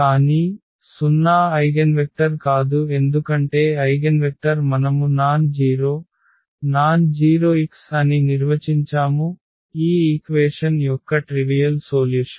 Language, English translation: Telugu, But, 0 is not the eigenvector because the eigenvector we define as the nonzero, nonzero x the non trivial solution of this equation